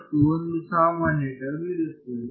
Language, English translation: Kannada, And there will be one common